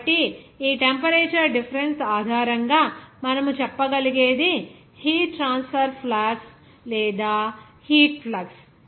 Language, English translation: Telugu, So, it is your heat transfer flux or heat flux you can say based on this temperature difference